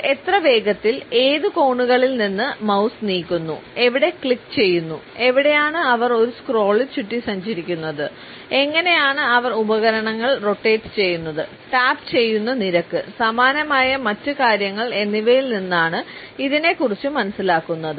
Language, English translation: Malayalam, Ranging from how fast and at which angles they move their mouse, where they click, where they hover around in a scroll, how do they device rotations, the rate at which they tap, where they pinch and similar other things